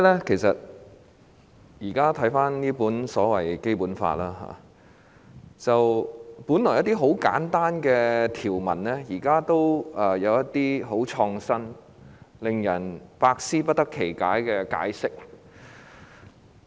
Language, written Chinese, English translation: Cantonese, 其實，我現在再讀這本《基本法》時，一些本來很簡單的條文，現在卻有很創新、令人百思不得其解的解釋。, In fact when I read the Basic Law again recently certain provisions which used to be straightforward have now come up with some brand new and unfathomable explanations